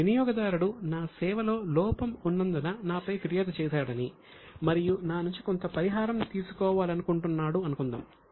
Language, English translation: Telugu, Suppose a customer has filed a complaint against me and wants to take some compensation because of deficiency in service